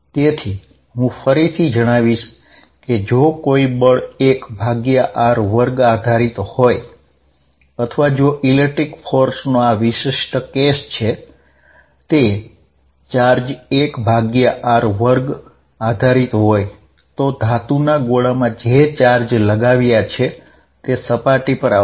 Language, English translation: Gujarati, So, I state again if a force is 1 over r square dependent or if this particular case of the electric force between charges is 1 r square dependent, all the charges that we put on a metallic sphere will come to the surface